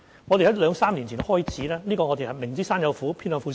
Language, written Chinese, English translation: Cantonese, 我們在兩三年前開始，"明知山有虎，偏向虎山行"。, Two to three years ago we went on undeterred by the challenges ahead